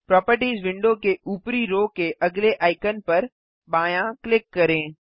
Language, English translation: Hindi, Left click the next icon at the top row of the Properties window